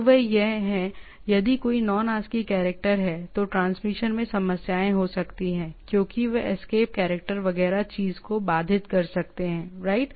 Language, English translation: Hindi, So those are if there is a Non ASCII character, there are there may be problem in transmission because those escape character etcetera may interrupt the thing, right